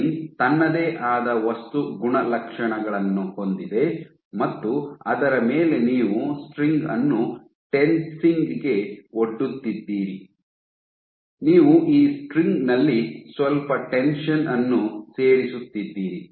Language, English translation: Kannada, So, the string has its own material properties on top of which you are tensing the string, you are adding some tension in this string